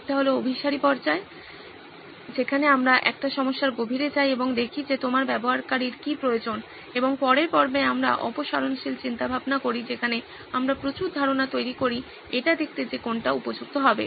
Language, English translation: Bengali, One is the convergent phase where we go deeper into a problem and see what it is that your user needs and in the next phase we do the divergent thinking where we generate a lot of ideas to see what fits the bill